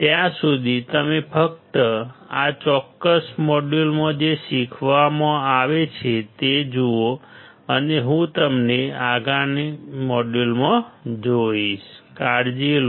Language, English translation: Gujarati, Till then you just look at what has being taught in this particular module and I will see you in the next module bye take care